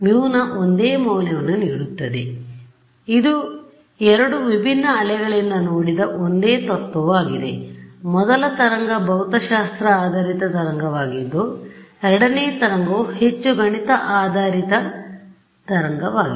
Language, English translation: Kannada, So, it is the same principle seen from two different waves; the first wave is the physics based wave the second wave is a more math based wave ok